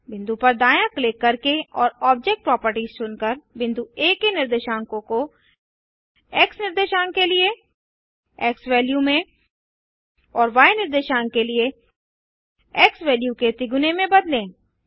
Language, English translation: Hindi, Change the coordinates of point A by right clicking on the point and selecting object properties, to xValue for the X coordinate and 3 times xValue for the Y coordinate